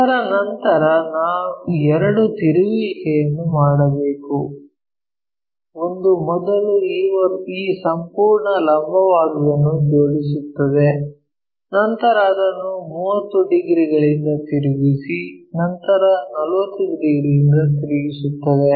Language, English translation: Kannada, After that because two rotations we have to do; one is first aligning this entire vertical one, then rotating it by 30 degrees then flipping it by 45 degrees